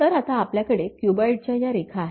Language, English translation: Marathi, So, now we have the cuboid lines, the sides edges